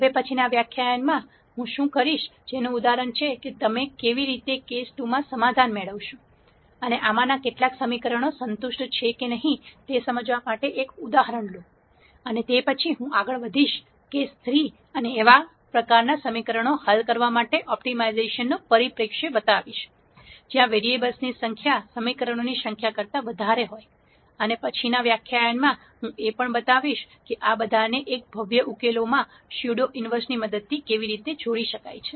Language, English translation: Gujarati, What I will do in the next lecture is, take an example to illustrate what happens in case 2 in terms of how you get a solution and whether some of these equations are satisfied or not satisfied and so on, and after that I will move on to case 3 and show an optimization perspective for solving those types of equations, where the number of variables become greater than the number of equations, and then in the next lecture I will also show how all of this can be combined into one elegant solution through the concept of pseudo inverse